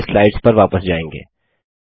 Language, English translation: Hindi, Let us first go back to the slides